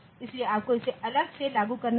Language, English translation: Hindi, So, you have to use you have to implement it separately